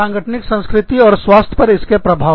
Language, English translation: Hindi, Organizational culture, and its influence on health